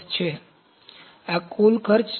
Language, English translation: Gujarati, So, this is total cost